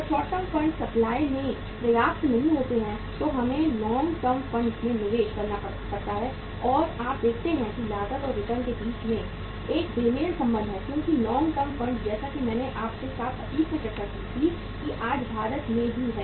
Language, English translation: Hindi, When the short term funds are not sufficient in supply then we have to invest the long term funds and you see there is a mismatch between the cost and the return because long term funds as I discussed with you in the past that in India today we also have the term structure of interest rates